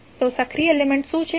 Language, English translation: Gujarati, So, active element is what